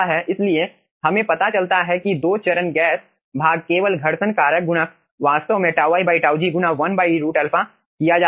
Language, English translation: Hindi, so we find out that ah, 2 phase gas portion only friction factor is multiplier is actually tau i by tau g multiplied by 1 by root alpha